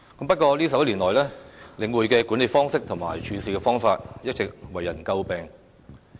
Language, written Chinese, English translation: Cantonese, 不過，這11年來，領匯的管理方式和處事手法一直為人詬病。, However over the past 11 years The Link has been criticized for its approach of management and modus operandi